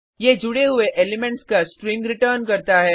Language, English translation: Hindi, It returns a string of joined elements